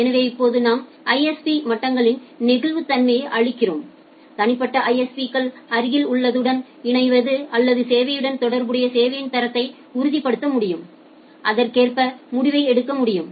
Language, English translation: Tamil, So, now we are giving the flexibility at the ISP levels that individual ISPs can ensure the pairing with or quality of service associated pairing with the neighbours and can take the decision accordingly